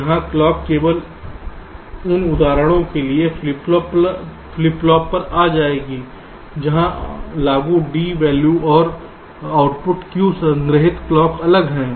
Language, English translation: Hindi, so here the clock will be coming to the flip flop only for those instances where the applied d value and the output q stored value are different